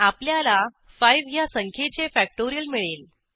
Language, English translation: Marathi, We get the factorial of number 5